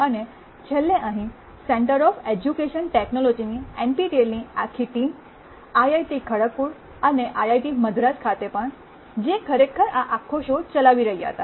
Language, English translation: Gujarati, And lastly the entire NPTEL team at the Center of Education Technology here at IIT Kharagpur and also at IIT Madras, who were actually running this whole show